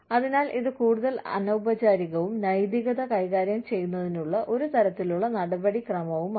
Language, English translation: Malayalam, So, it is more of informal, one on one kind of procedure, of managing ethics